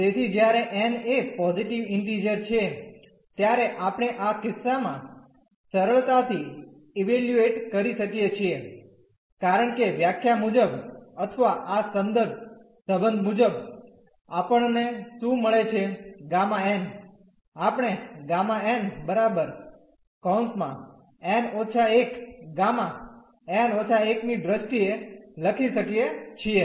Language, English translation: Gujarati, So, when n is a positive integer this we can easily valuate in this case because as per the definition or as per this reference relation what do we get gamma n, we can write down in terms of like gamma n will be n minus 1 gamma n minus 1